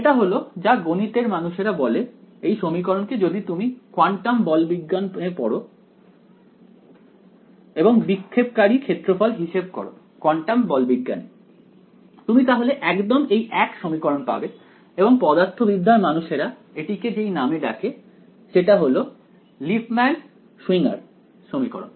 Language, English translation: Bengali, This is what the math people call this equation if you study quantum mechanics and calculate scattering cross sections in quantum mechanics you get actually the exact same equation and the physicists the physics people call it by the name Lipmann Schwinger equation